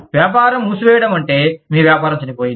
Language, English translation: Telugu, Business closing down means, your business is dead